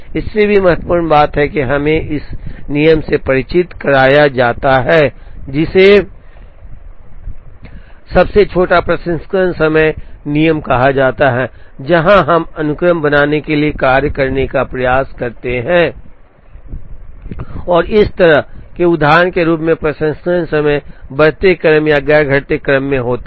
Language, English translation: Hindi, More importantly this is introduced us to the rule, which is called shortest processing time rule, where we try and arrange the job to form a sequence, such that the processing times are in increasing order or non decreasing order as in this example